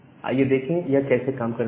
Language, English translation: Hindi, So, let us see that how this entire thing works